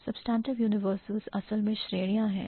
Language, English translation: Hindi, Substantive universals are basically categories and what categories